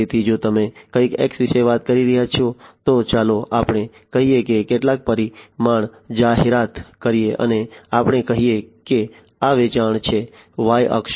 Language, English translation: Gujarati, So, if you are talking about something X let us say some parameter advertisement let us say and let us say that this is the sale the Y axis right